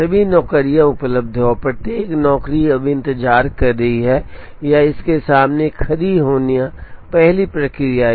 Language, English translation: Hindi, All the jobs are available and each job is now waiting or standing in front of it is first machine to be processed